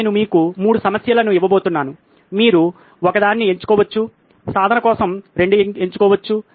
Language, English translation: Telugu, I am going to give you 3 problems, you can pick one, pick 2 for practice